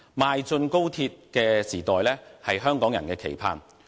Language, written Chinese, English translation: Cantonese, 邁進高鐵時代是香港人的期盼。, Hong Kong people look forward to ushering in the era of high - speed rail